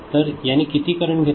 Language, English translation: Marathi, So, how much current is taken